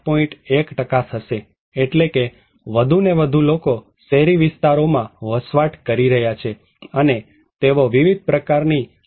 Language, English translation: Gujarati, 1% that means more and more people are living in urban areas and they are exposed to various kind of disasters